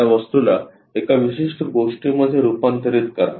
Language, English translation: Marathi, Turn this object into one particular thing